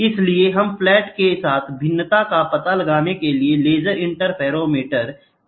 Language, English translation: Hindi, So, we use laser interferometric techniques to find out the variation all along the flat